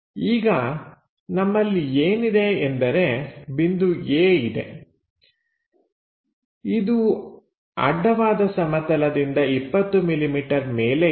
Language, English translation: Kannada, Let us ask a question there is a point A which is 20 millimetres above horizontal plane